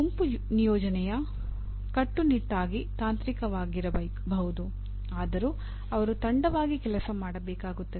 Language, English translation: Kannada, This can be, group assignment could be strictly technical and yet they have to work as a team